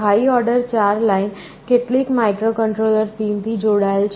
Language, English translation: Gujarati, Then the high order 4 lines are connected to some microcontroller pins